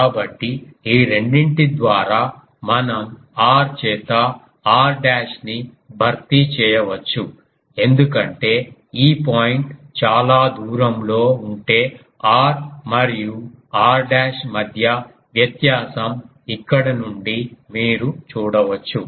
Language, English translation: Telugu, So, by these 2 we can replace that r dashed by r; so, we can replace r dash by r because you can see from here that if this point is far away so, the difference between r and r dash is this